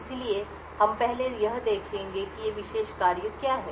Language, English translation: Hindi, So, we will first look at what these special functions are